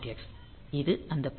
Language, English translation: Tamil, X, so this is the pin